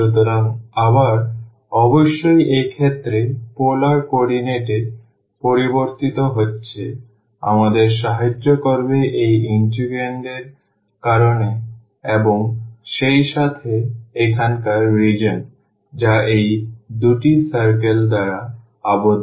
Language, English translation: Bengali, So, again certainly in this case are changing to polar coordinate will help us because of the integrand and as well as because of the region here which is bounded by these two circle